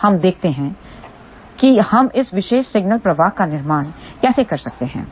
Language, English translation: Hindi, So, let us see how we can build this particular signal flow